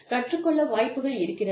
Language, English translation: Tamil, Learning opportunities are there